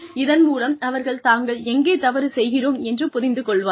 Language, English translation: Tamil, So that they are able to understand, where they are going wrong